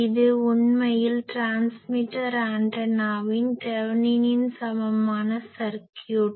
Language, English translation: Tamil, This is actually the Thevenin’s equivalent circuit of a transmitting antenna